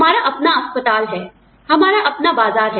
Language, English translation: Hindi, We have our own hospital, our own market